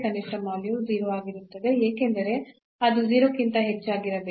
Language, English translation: Kannada, So, the minimum value will be a 0, because it has to be greater than equal to 0